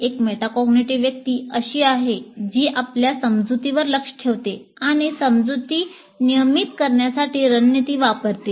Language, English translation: Marathi, Metacognitive person is someone who monitors his or her understanding and uses strategies to regulate understanding